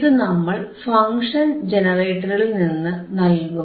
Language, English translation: Malayalam, From the function generator